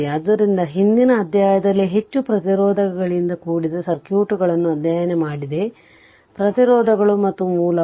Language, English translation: Kannada, So, in the previous chapter, we have studied circuits that is composed of resistance your resistances and sources